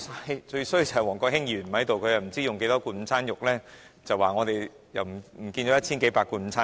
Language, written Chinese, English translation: Cantonese, 可惜王國興議員不在，否則他又會說我們浪費了一千數百罐午餐肉。, It is a pity that Mr WONG Kwok - hing is not here . Otherwise he would again comment that we have wasted some 1 000 cans of luncheon meat